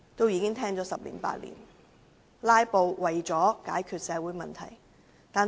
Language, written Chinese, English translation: Cantonese, 然而，"拉布"能否解決社會問題？, However can filibuster solve any social problems?